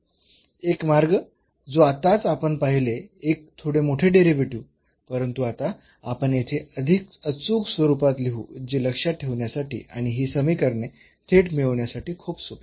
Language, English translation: Marathi, One way which we have just seen bit along bit long derivation, but now we will here write down in a more precise form which is very easy to remember and how to get these equations directly